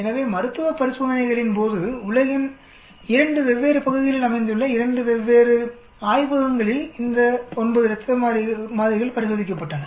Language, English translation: Tamil, So during clinical trials 9 blood samples were tested in 2 different labs located in 2 different parts of the world